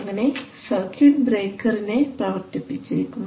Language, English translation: Malayalam, So the circuit breaker is actuated